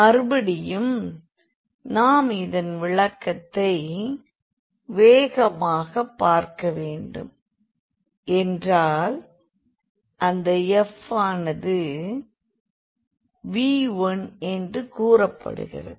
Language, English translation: Tamil, So, again the physical interpretation if we want to take a quick look so, if for example, this f is said to V 1